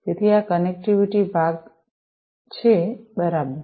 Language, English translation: Gujarati, So, this is this connectivity part, right